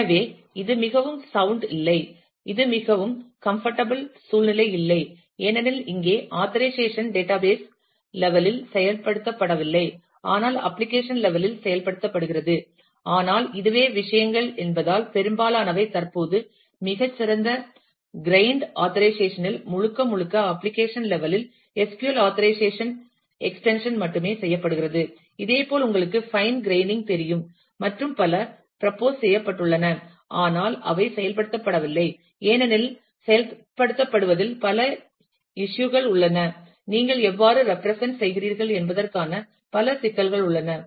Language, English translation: Tamil, So, this is no not a not a very sound this is not a very comfortable situation because, here the authorization is not being implemented in the database level, but is being implemented at the application level, but that is way things a because, most of the fine grained authorization currently, is done entirely in the application level only a extension to SQL authorization, at for similar you know fine graining and so on has been proposed, but they have not been implemented because, there are several issues of implementing where there several issues of how do you represent